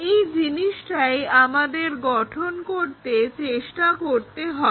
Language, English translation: Bengali, So, that is the thing what we are trying to construct it